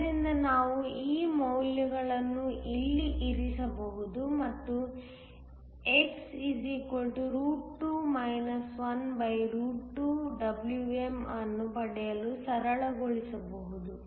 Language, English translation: Kannada, So, we can put this values here and simplify to get x= 2 12 Wm